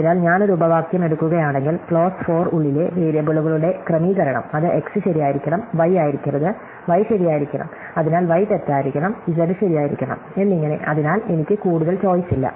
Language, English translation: Malayalam, So, if I take a clause, then the settings of the variables inside the clause force me, it says x must be true, y must be not y must be true, so y must be false and z must be true and so on, so I do not have much choice